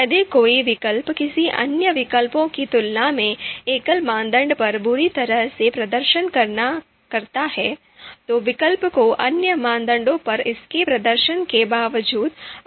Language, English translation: Hindi, If an alternative performs badly on a single criterion compared to another alternative, the alternative will then be considered as outranked irrespective of its performance on other criteria